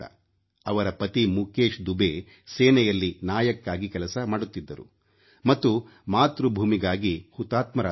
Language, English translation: Kannada, Similarly, Nidhi Dubey's husband Mukesh Dubey was a Naik in the army and attained martyrdom while fighting for his country